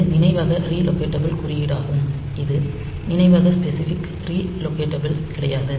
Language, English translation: Tamil, Then this memory re locatable code so, this is the memory specific not re locatable